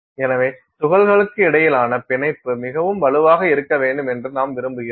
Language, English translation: Tamil, So, you want the bonding between the particles to be very strong